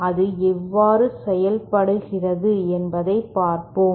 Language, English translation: Tamil, Let us see how it is done